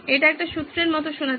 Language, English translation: Bengali, This sounds like a formula